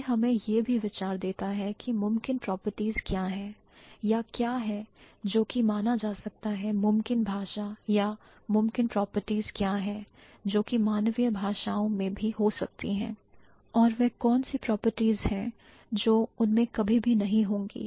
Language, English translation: Hindi, And it also gives us an idea what are the possible properties or what which can be considered as a possible language or what are the possibilities or possible properties that human languages may have which are the properties which they would never have